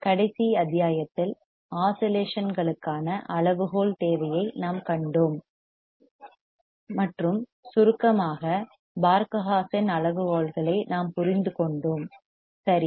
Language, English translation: Tamil, In the last module, we have seen the criteria requirement for oscillations, right and that in summary, we have understood the Barkhausen criteria, right